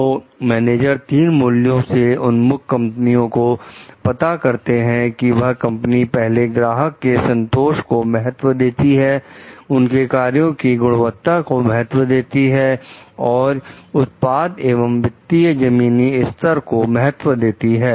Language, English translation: Hindi, So, the managers identified three value orientations of companies depending on whether the company give first priority to customer satisfaction, the quality of it is works and products and the financial bottom line